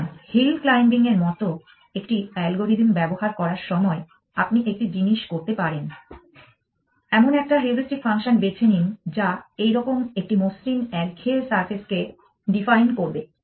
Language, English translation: Bengali, So, one thing that you can do when you are using an algorithm like hill climbing chooses a heuristic function which will define a smooth monotonic surface like this